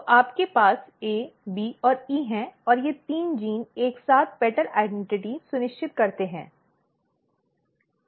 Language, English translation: Hindi, So, you have A B and E and these three genes together ensures petal identity